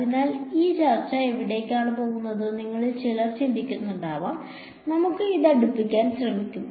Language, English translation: Malayalam, So, some of you must be wondering where is this discussion going so, let us try to bring it closer